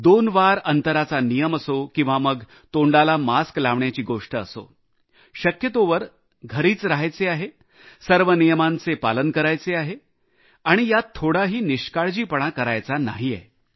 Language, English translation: Marathi, Whether it's the mandatory two yards distancing, wearing face masks or staying at home to the best extent possible, there should be no laxity on our part in complete adherence